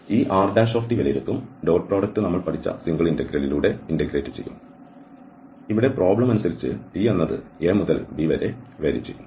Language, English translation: Malayalam, And this R prime t will be evaluated, the dot product will be integrated over dt the single integral which we have learned and the t will vary for instance, whatever t goes from A to B depending on the problem